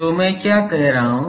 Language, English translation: Hindi, So, what I am saying